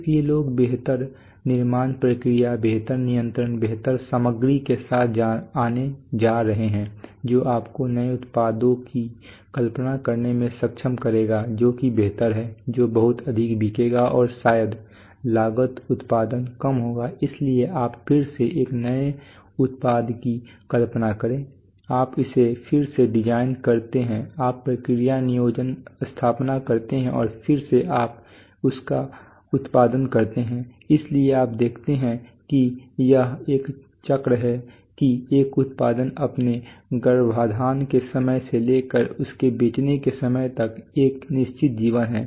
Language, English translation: Hindi, So people are going to come up with better material with better manufacturing processes with better controls which will enable you to do to conceive new products which are improved which will sell much larger probably cost production will be less, so you again conceive a new product again you design it again you make process planning installation and again you produce it so you see this is a cycle that a product from its time off from its time of conception up to its up to its a time of selling has a certain life